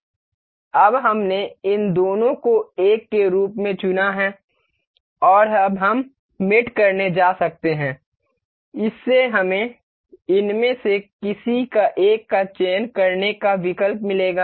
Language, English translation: Hindi, Now, we have control selected both of these as 1 and now we can go to mate, this will give us option to select any one of these